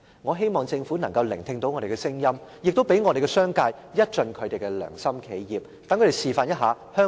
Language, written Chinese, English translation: Cantonese, 我希望政府能夠聽到我們的聲音，亦讓商界一盡良心企業的本分，讓他們示範香港仍然是一個有良心的地方。, I hope the Government can hear our voices and allow members in the business sector to do their part as conscientious enterprises so that they can be a role model to show that Hong Kong is still a place where there is conscience